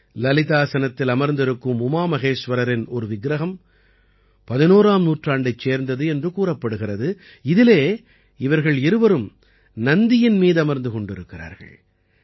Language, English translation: Tamil, An idol of UmaMaheshwara in Lalitasan is said to be of the 11th century, in which both of them are seated on Nandi